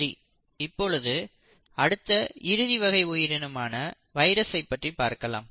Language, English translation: Tamil, So then let us come to one last group which is the viruses